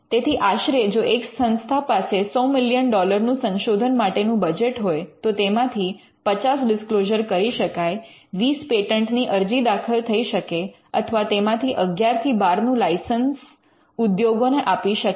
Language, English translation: Gujarati, Roughly, if an institute has a 100 million dollar research budget you could get 50 disclosures, you could file 20 patent applications and you may get 11 or 12 of them licensed to the industry